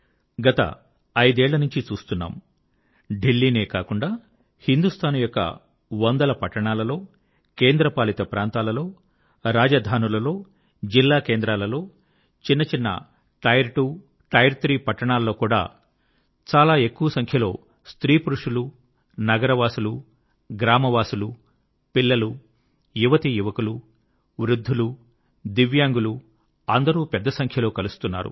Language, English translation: Telugu, The last five years have witnessed not only in Delhi but in hundreds of cities of India, union territories, state capitals, district centres, even in small cities belonging to tier two or tier three categories, innumerable men, women, be they the city folk, village folk, children, the youth, the elderly, divyang, all are participating in'Run for Unity'in large numbers